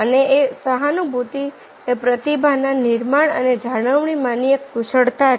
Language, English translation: Gujarati, and empathy is one of the expertise in building and retaining the talent